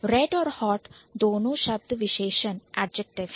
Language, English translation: Hindi, You also have red which is an adjective